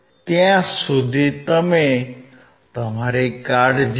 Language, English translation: Gujarati, Till then, you take care